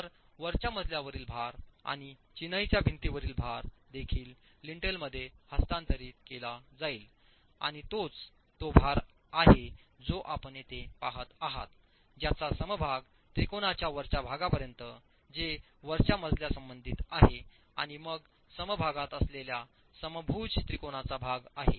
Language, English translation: Marathi, So, the floor load and the masonry wall load from the upper story will also be transferred to the lintel and that's the load that you are looking at here which is the portion that the equilateral triangle is covering as far as the upper story is concerned and then the part of the equilateral triangle which is in the ground story itself